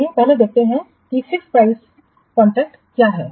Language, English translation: Hindi, Let's first see about that is the fixed price contracts